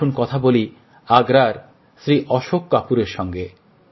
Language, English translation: Bengali, Come let us speak to Shriman Ashok Kapoor from Agra